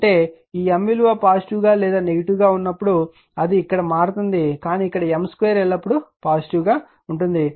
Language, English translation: Telugu, That means this your M is negative or positive does the your it will be here it will change, but here M square is always positive right